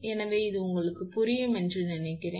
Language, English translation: Tamil, So, I think it is understandable to you